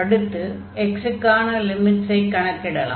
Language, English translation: Tamil, So, the we will fix first the limit of x